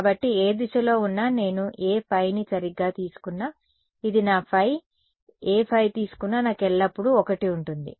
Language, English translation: Telugu, So, no matter what direction, I no matter what phi I take right, this is my phi no matter what phi I take, I always have 1 right